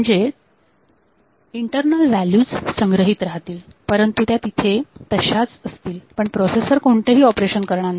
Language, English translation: Marathi, So, the internal values will be stored, but will be held, but the processor will not do any other operation